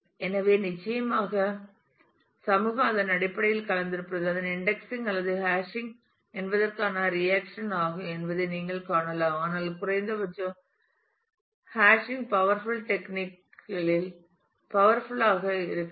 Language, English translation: Tamil, So, of course, you can see that there as the community is mixed in terms of it is a reaction to whether its indexing or hashing, but hashing powerful at least in limited ways is a powerful technique to go with